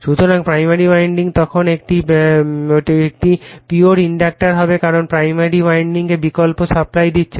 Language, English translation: Bengali, So, primary winding then will be a pure inductor because we are giving alternating supply to the primary winding